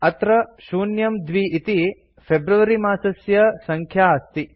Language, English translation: Sanskrit, Here it is showing 02 for the month of February